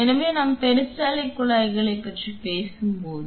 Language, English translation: Tamil, So, when we are talking about peristaltic pumps